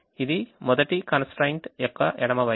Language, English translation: Telugu, this is the left hand side of the first constraints